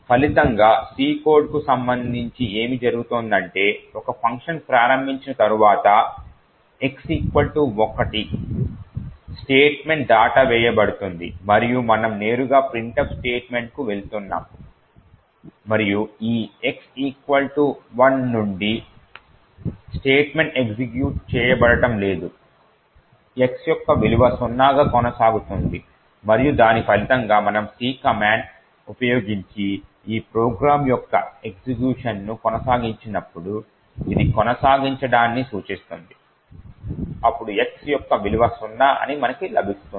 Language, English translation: Telugu, As a result what is happening with respect to the C code is that after a function is invoked the x equal to 1 statement is getting skipped and we are directly going to the printf statement and since this x equal to 1 statement is not being executed the value of x continues to be zero and as a result when we actually continue the execution of this program using the C command which stands for continue to execute, then we get that the value of x is zero